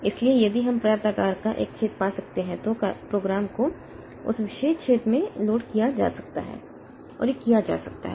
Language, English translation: Hindi, So, if we can find a hole of sufficient size then the program the program can be loaded into that particular hole and it can be done